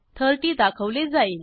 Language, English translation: Marathi, 30 is displayed